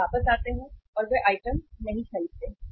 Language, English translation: Hindi, They come back and they do not purchase the item